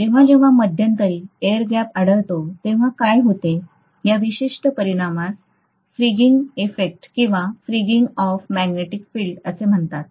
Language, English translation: Marathi, So I should say this particular effect what happens whenever there is an intervening air gap, this is known as fringing effect or fringing of magnetic field lines